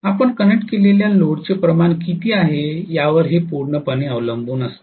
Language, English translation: Marathi, It absolutely depends upon what is the amount of load that you have connected